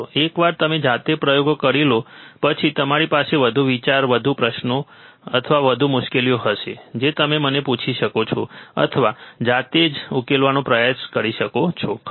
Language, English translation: Gujarati, Once you perform the experiment by yourself, you will have more idea, or more questions, or more difficulties that you can ask to me, or try to solve by yourself, right